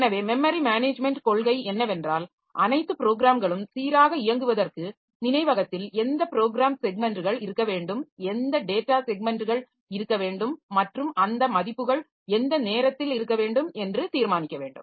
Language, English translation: Tamil, So, the memory management policy, so it has to decide that for smooth running of all the processes which are the memory which are the program segments that should be there in the memory, which are the data segments that be in the memory and at what time those values be available